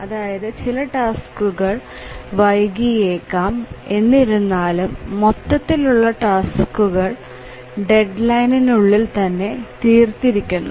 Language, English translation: Malayalam, So, some of the tasks may get delayed, but then overall the task deadline will be met